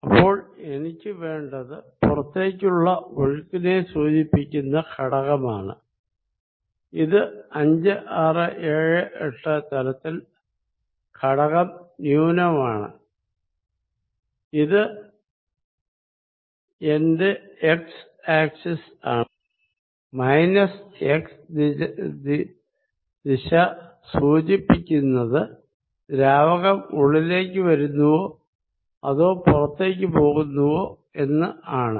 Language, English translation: Malayalam, So, for that I need the component which indicates a flow out and that is for 5, 6, 7, 8 the component in minus this is my x axis, in minus x direction is going to tell me whether fluid is leaving or coming in